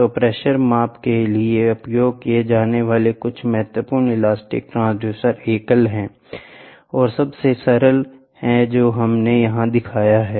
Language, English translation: Hindi, So, are some of the important elastic transducers used for pressure measurement they are single is the simplest one which we have shown here